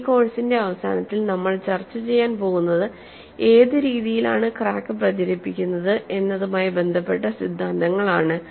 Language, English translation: Malayalam, See, we are going to discuss towards the end of this course, theories related to which way in the crack would propagate